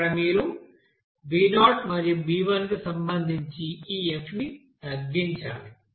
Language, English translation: Telugu, Here you have to minimize this F with respect to that b0 and b1 there